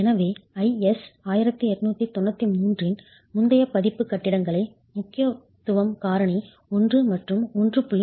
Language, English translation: Tamil, So, you have in the previous version of IS 1893 2 factors, 2 importance factors 1 and 1